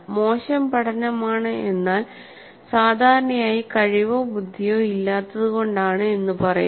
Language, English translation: Malayalam, Poor learning is usually attributed to a lack of ability or intelligence